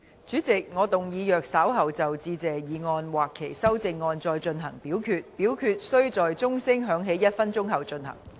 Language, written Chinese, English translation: Cantonese, 主席，我動議若稍後就"致謝議案"或其修正案再進行點名表決，表決須在鐘聲響起1分鐘後進行。, President I move that in the event of further divisions being claimed in respect of the Motion of Thanks or any amendments thereto this Council do proceed to each of such divisions immediately after the division bell has been rung for one minute